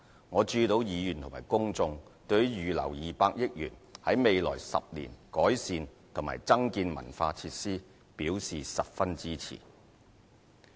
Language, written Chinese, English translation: Cantonese, 我注意到議員和公眾對於預留200億元在未來10年改善及增建文化設施表示十分支持。, I have noticed that Members and the public are very supportive of the Governments proposal to earmark 20 billion for the enhancement and development of cultural facilities in the next 10 years